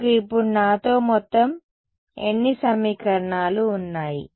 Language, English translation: Telugu, How many equations you have a in total with me now